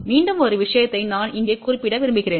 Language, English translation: Tamil, Again one more thing I want to mention here